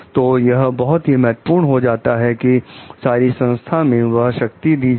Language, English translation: Hindi, So, it is very critical to distribute power throughout the organization